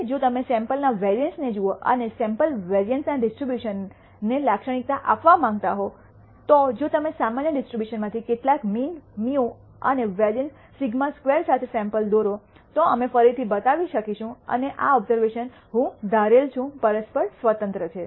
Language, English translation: Gujarati, Now, if you look at the sample variance and want to characterize the distribution of the sample variance, we can show again if you draw samples from the normal distribution with some mean mu and variance sigma squared and these observations I am going to assume are mutually independent